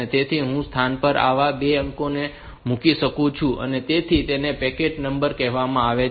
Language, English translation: Gujarati, So, I can put 2 such digits in a location that is why it is called packed number